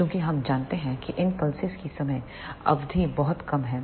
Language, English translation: Hindi, Since we know that the time duration for these pulses is very less